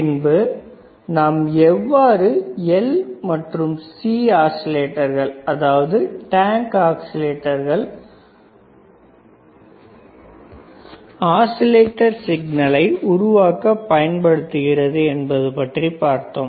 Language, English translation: Tamil, Then we have seen how the L and C oscillators, that is tank oscillators can be used for generating the signal oscillatory signal